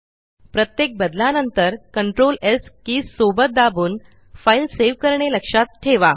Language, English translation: Marathi, Remember to save your file by pressing CTRL+S keys together, every time you make a change